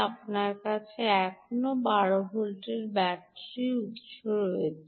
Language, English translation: Bengali, you still have a twelve volt battery source